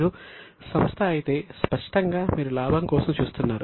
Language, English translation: Telugu, If you are a company obviously you would be looking for the profit